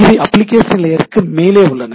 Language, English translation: Tamil, So, it is above application layer right